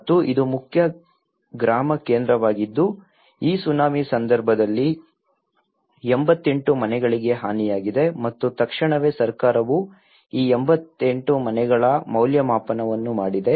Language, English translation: Kannada, And this is the main village centre and then 88 houses were damaged during this Tsunami and immediately the government have done the assessment of these 88 houses